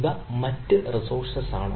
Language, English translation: Malayalam, these are different other resources